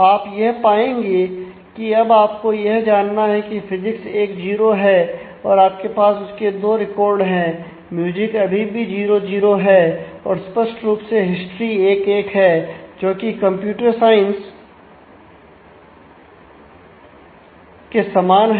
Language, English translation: Hindi, Now, you will find that you need to you now have physics is 1 0 and you have two records for that and music is continues to be 0 0 ah; obviously, history is 1 1 same as computer science